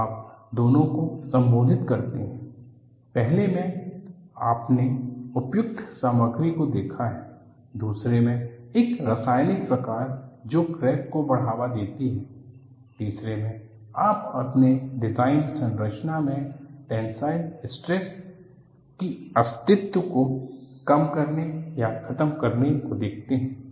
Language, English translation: Hindi, So, you address both; in the first two, you have looked at appropriate material; second one is the chemical species that promotes cracking; the third one, you look at minimizing or eliminating the existence of tensile stresses in your design structure